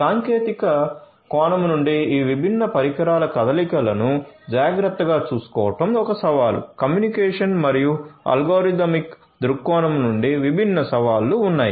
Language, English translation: Telugu, So, taken care of mobility of these different devices from a technical point of view is a challenge; technical both from a communication and a algorithmic point of view there are different challenges